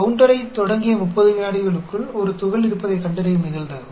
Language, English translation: Tamil, The probability that we detect a particle within 30 seconds of starting the counter